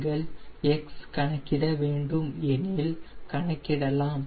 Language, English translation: Tamil, if you want to calculate x